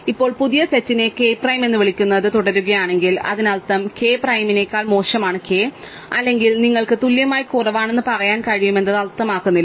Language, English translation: Malayalam, Now, by assumption if the new set continues to be called k prime, then that means that k was less than k prime or you could even say less than equal to does not really matter